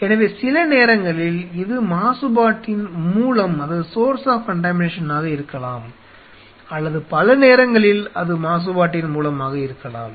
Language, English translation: Tamil, So, which is at time can be source of contamination or many a time it is a source of contamination